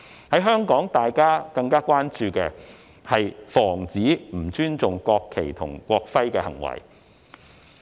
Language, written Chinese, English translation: Cantonese, 在香港，大家更關注的，是防止不尊重國旗和國徽的行為。, In Hong Kong we are more concerned about preventing acts of disrespect for the national flag and national emblem